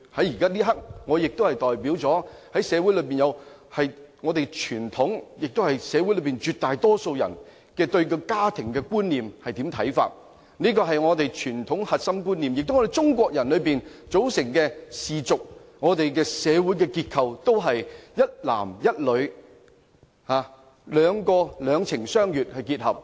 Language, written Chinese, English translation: Cantonese, 在這一刻，我代表了社會上傳統及大多數人對家庭觀念的看法，這是我們傳統的核心觀念，而中國人組成的氏族和我們的社會結構，也是一男一女，兩情相悅結合。, At this juncture I represent a traditional concept of family upheld by most people in society . This is our core concept tradition - wise and the formation of Chinese clans and our social structure are founded on the union of a man and a woman based on mutual love